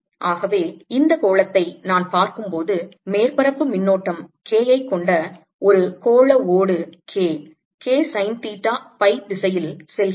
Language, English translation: Tamil, so you see, when i look at this sphere, a spherical shell that has current surface current k, going like k sine theta in phi direction